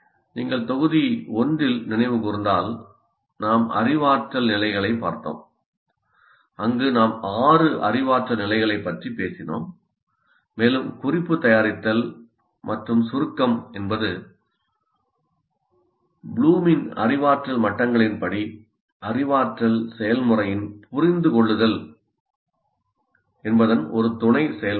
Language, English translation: Tamil, And if you recall, in module one we looked at the cognitive activities, cognitive levels where we talked about six cognitive levels and note making and summarization is a sub process of the cognitive process, understand as per Bloom cognitive activity